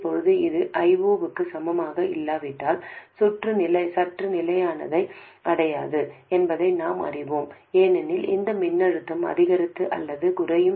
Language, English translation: Tamil, Now if it is not equal to I0, we know that the circuit won't reach steady state because this voltage will go on increasing or decreasing